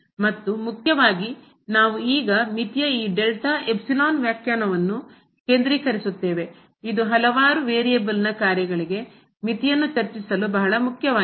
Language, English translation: Kannada, And mainly, we will now focus on this delta epsilon definition of the limit which is very important to discuss the limit for the functions of several variable